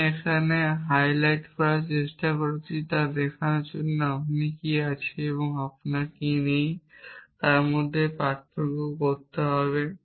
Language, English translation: Bengali, To show what I am trying to highlight here is that you need to distinguish between what you have and what you do not have